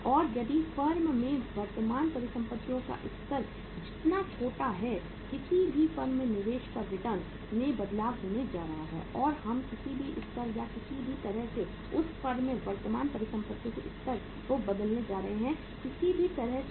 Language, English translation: Hindi, And if the smaller the level of current assets in the firm smaller is going to be the change in the return on investment of any firm if we are going to change the level of current assets in that firm by any level or in any way or in any mean